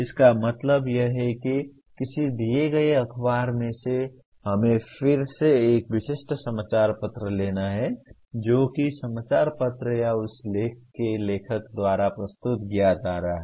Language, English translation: Hindi, That means from a given let us say take again a typical newspaper article, what is the point of view that is being presented by the newspaper or by the author of that article